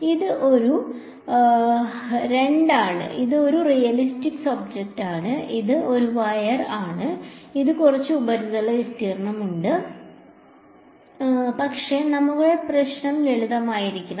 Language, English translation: Malayalam, It is a I mean it is a two it is a realistic object, it is a wire, it has some surface area, but we can simplify our problem